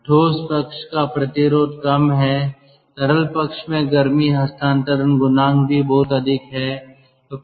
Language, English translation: Hindi, so generally in the liquid side the heat transfer coefficient is very high